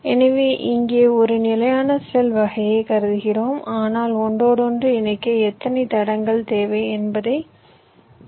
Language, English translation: Tamil, so here we are considering standard cell kind of a placement, but we are just counting how many tracks we are needing for interconnection